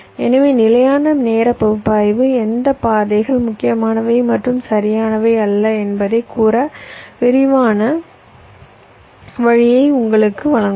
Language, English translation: Tamil, so static timing analysis will give you a quick way of telling which of the paths are critical and which are not right